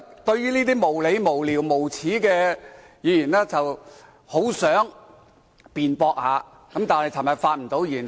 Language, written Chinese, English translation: Cantonese, 對於這些無理、無聊、無耻的論點，我很想作出辯駁，但昨天未有機會發言。, I wanted to argue against these unreasonable meaningless and shameless remarks but I did not have the opportunity to speak yesterday